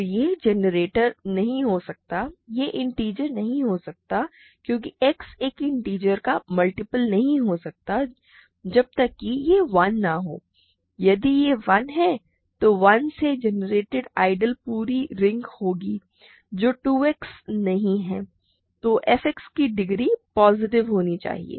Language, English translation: Hindi, So, it cannot be a generator it cannot be an integer because X is never a multiple of an integer unless it is 1 of course, but if it is 1 the ideal generated by 1 is the entire ring, which 2 X is not